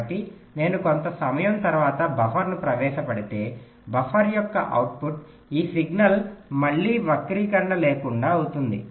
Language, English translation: Telugu, so if i introduce a buffer after some time, so the output of the buffer, this signal, will again become distortion free